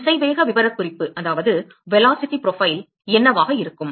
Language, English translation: Tamil, What will be the velocity profile